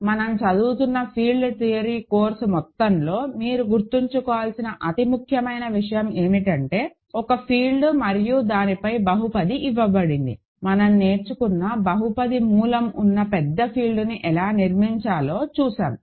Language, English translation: Telugu, So, remember that the entire field theory course we are studying; the most important thing we are starting is given a field and a polynomial in it over it, we are we have learned how to construct a bigger field where the polynomial has a root, that we have learned